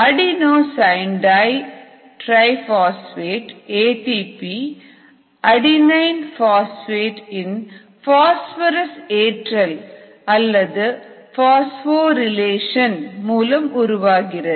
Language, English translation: Tamil, adenosine triphosphate is made by the phosphoral relation of adenosine diphosphate